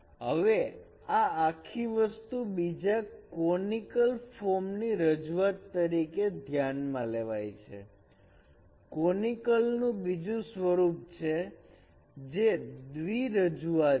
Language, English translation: Gujarati, Now this whole thing can be considered as a representation of another conical form, another form of conics which is a dual representation